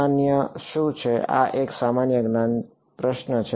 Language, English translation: Gujarati, What is a common this is a common sense question